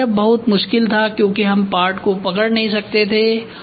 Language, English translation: Hindi, Earlier it was very difficult because we could not hold the part